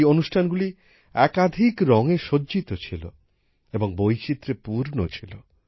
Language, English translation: Bengali, These programs were adorned with a spectrum of colours… were full of diversity